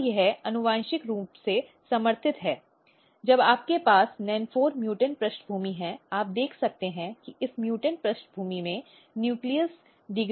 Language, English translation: Hindi, And this is supported genetically when you have nen4 mutant background you can see that nucleus degradation is defective in this mutant background